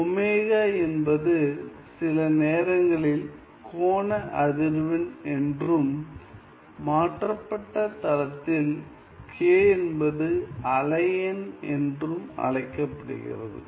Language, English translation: Tamil, Omega is sometimes also called the angular frequency and k in our transformed plane is called as the wave number